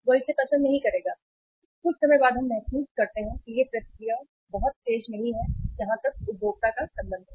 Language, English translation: Hindi, He will not like it and sometime we feel or sometime we feel that the the reaction is not very sharp as far as the consumer is concerned